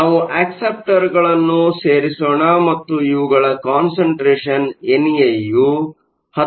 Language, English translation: Kannada, So, we add acceptors and the concentration of acceptors, N A is 10 to the 16